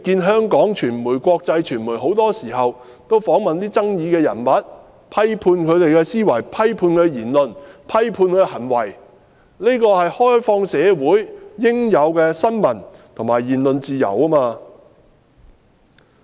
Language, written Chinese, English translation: Cantonese, 香港傳媒、國際傳媒很多時候也會訪問具爭議性的人物，批判他們的思維、言論、行為，這是開放社會應有的新聞和言論自由。, It is very common for local and international media to interview controversial figures and then criticize their thinking words and deeds . This is freedom of the press and freedom of speech enjoyed by an open society